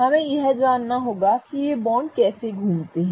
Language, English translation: Hindi, We also need to know how these bonds rotate